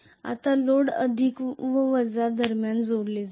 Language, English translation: Marathi, Now the load will be connected between the plus and minus